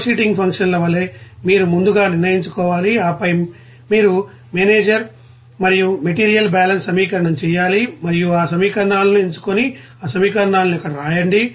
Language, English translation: Telugu, Like flowsheeting functions that you have to first decide and then you have to do the manager and material balance equation and select those equations and write that equations there